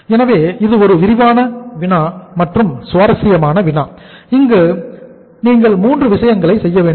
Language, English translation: Tamil, So it is a comprehensive problem, interesting but comprehensive problem where you have to do 3 things